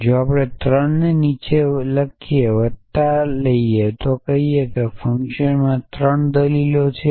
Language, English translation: Gujarati, If we take arity 3 below plus we say that it is a function 3 argument essentially